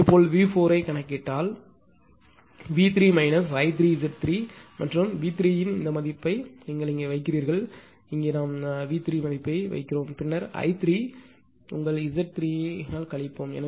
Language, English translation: Tamil, Similarly, V 4 if you compute it will result V 3 minus Z 3 right and this this this value of V 3 you put it here; here we are putting it here this value of V 3 right and then minus your I 3 into your this is your I 3 as this is your Z 3 and this is your I 3 right